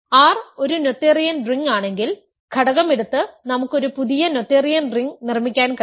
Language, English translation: Malayalam, If R is a noetherian ring, we can construct a new noetherian ring by just taking the coefficient